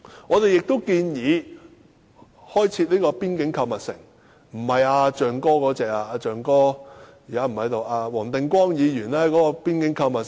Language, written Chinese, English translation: Cantonese, 我們亦建議開設邊境購物城，但並非如"象哥"牽頭的那種購物城。, We also propose the construction of shopping malls at various boundary control points but not the kind of shopping city led by Mr Elephant . Mr Elephant is not in the Chamber now